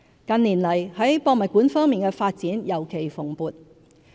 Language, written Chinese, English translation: Cantonese, 近年來，在博物館方面的發展尤其蓬勃。, In recent years the development of museums has been particularly flourishing